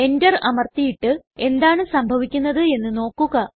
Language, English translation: Malayalam, Let us press Enter and see what happens